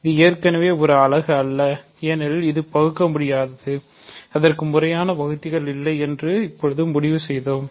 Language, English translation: Tamil, It is already not a unit because its prime and we now concluded that it has no proper divisors